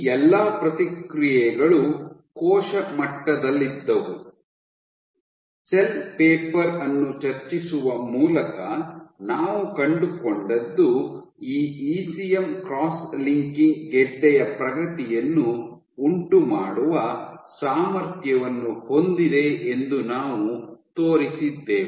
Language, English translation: Kannada, All of these responses in the cell level, what we found by discussing the cell paper we showed that this ECM cross linking is capable